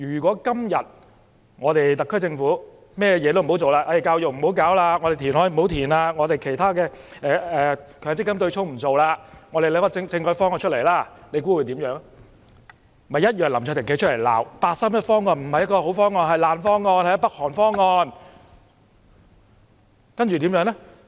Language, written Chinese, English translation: Cantonese, 假如特區政府甚麼也不做，教育問題、填海，強積金對沖等問題也不處理，而只是提出政改方案，屆時林卓廷議員同樣會站出來，責罵八三一方案不是好方案、是爛方案、是北韓方案。, If the SAR Government does nothing to address problems relating to education reclamation Mandatory Provident Funding offsetting mechanism etc and merely proposes a constitutional reform proposal by then Mr LAM Cheuk - ting will also rise to condemn the 31 August Proposal saying that it is a bad proposal a lousy proposal a proposal adopting the North Korean mode